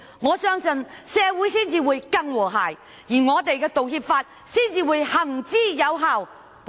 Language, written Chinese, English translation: Cantonese, 我相信這會令社會更和諧，並且《道歉條例》得以有效實施。, This will I believe help bring about greater social harmony while facilitating the effective implementation of the Apology Ordinance